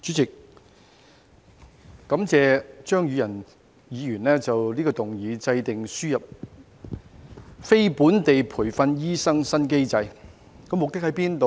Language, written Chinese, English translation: Cantonese, 主席，感謝張宇人議員動議這項"制訂輸入非本地培訓醫生的新機制"的議案。, President I thank Mr Tommy CHEUNG for moving this motion on Formulating a new mechanism for importing non - locally trained doctors